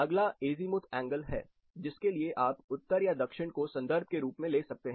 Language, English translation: Hindi, Next is an Azimuth angle which you can take either north or south as reference